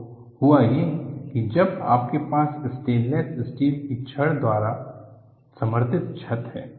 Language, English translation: Hindi, So, that is what happen, when you have a roof supported by stainless steel rods